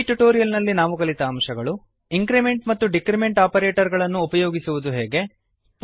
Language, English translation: Kannada, In this tutorial we learnt, How to use the increment and decrement operators